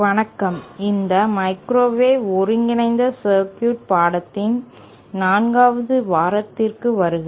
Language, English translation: Tamil, Hello, welcome to week 4 of this course microwave integrated circuits